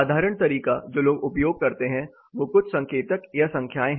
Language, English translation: Hindi, So, the common way people use is certain indicators or numbers